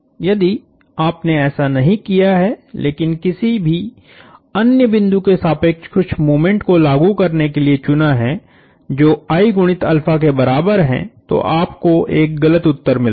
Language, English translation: Hindi, If you did that, if you did not do that, but chose to apply some of moments equals I times alpha about any other point, you get an incorrect answer